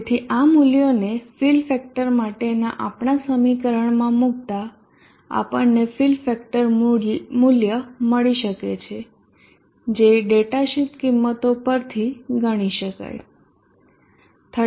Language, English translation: Gujarati, So plugging in these values into equation for the fill factor we get fill factor value can be computed from the data sheet values 30